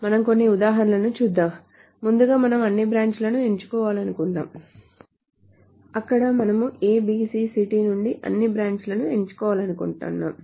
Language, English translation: Telugu, So first of all, suppose we want to select all branches where we want to select all branches from the city ABC